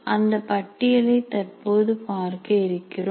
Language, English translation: Tamil, We will presently see the list